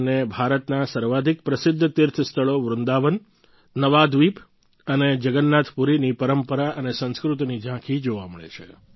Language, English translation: Gujarati, They get to see glimpses of the most famous pilgrimage centres of India the traditions and culture of Vrindavan, Navaadweep and Jagannathpuri